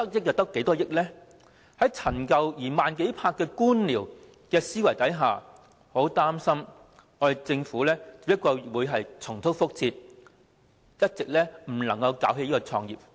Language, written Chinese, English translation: Cantonese, 在既陳舊又慢熱的官僚思維下，我很擔心政府只會重蹈覆轍，始終無法搞起創科發展。, Given the outdated and insensitive bureaucratic mentality of the Government I am afraid that the Government will repeat the same mistake and once again fail to foster IT development